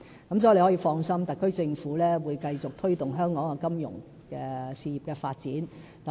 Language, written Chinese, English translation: Cantonese, 所以，張議員可以放心，特區政府會繼續推動香港金融事業的發展。, So Mr CHEUNG can rest assured that the SAR Government will go on promoting the development of the financial sector in Hong Kong